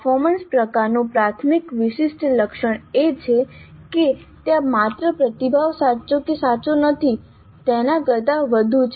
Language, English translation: Gujarati, The primary distinguishing feature of a performance type is that there is more than merely the response being correct or not correct